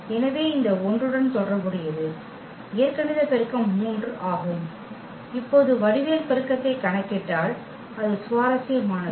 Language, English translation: Tamil, So, corresponding to this 1 so; algebraic multiplicity is 3 and if we compute the geometric multiplicity now that is interesting